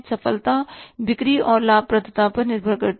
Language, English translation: Hindi, Success depends upon the sale and the profitability